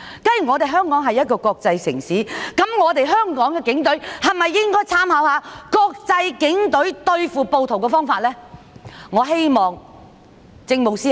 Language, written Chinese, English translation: Cantonese, 既然香港是國際城市，香港的警隊應否參考外國警隊對付暴徒的方法呢？, Since Hong Kong is an international city should the Police Force in Hong Kong make reference to ways adopted by police overseas in dealing with rioters?